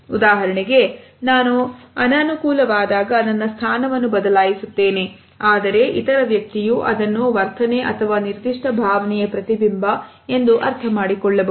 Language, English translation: Kannada, For example, I may be uncomfortable and I am shifting my position, but the other person may understand it as a reflection of an attitude or a certain emotion